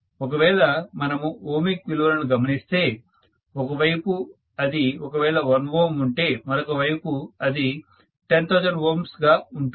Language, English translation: Telugu, So if you look at the ohmic values on one side, if it is 1 ohm on the other side, it will be 10,000 ohms, are you getting my point